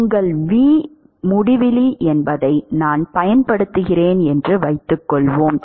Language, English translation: Tamil, And suppose, I use, I specify that your v infinity is the